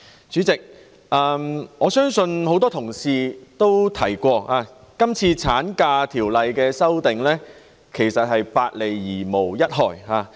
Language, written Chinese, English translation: Cantonese, 主席，多位議員皆提及，《條例草案》對產假提出的修訂，其實是"百利而無一害"的。, President as rightly asserted by various Members the amendments to maternity leave in the Bill actually will only do good without any harm